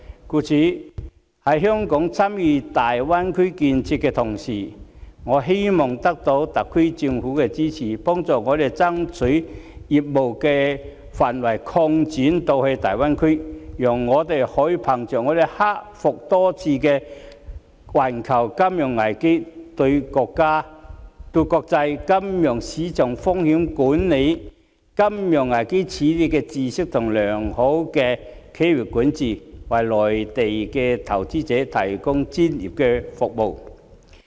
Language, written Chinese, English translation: Cantonese, 故此，在香港參與大灣區建設的同時，我們希望得到特區政府的支持，幫助我們爭取將業務範圍擴展至大灣區，讓我們可以憑藉克服多次的環球金融危機的經驗、對國際金融市場風險管理和金融危機的認知，以及良好的企業管治，為內地投資者提供專業服務。, In this connection in tandem with Hong Kongs involvement in the development of the Greater Bay Area we hope that the Government of the Hong Kong Special Administrative Region can support us and help us strive to extend our scope of business to the Greater Bay Area so that with our experiences in overcoming a number of global financial crises our knowledge of risk management in international financial markets and financial crises and our good corporate governance we can provide professional services to the Mainland investors